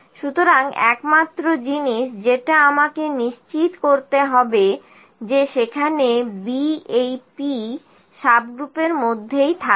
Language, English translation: Bengali, So, only thing is that I need to make sure that this B remains P subgroup is there